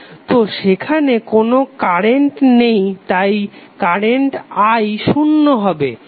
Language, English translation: Bengali, So there would be basically no current so current i would be zero